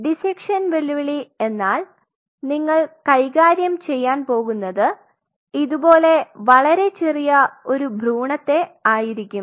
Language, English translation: Malayalam, Dissection challenge is you are handling an embryo which will be very teeny tiny something like something like this